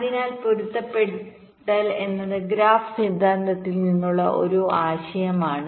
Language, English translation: Malayalam, so matching is a concept that comes from graphs theory